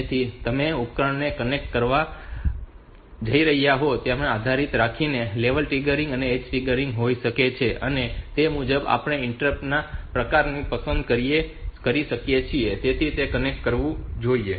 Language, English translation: Gujarati, So, depending upon the type of device that you are going to connect, so can have this the level triggering and edge triggering accordingly we can choose the type of interrupt to which it should be connected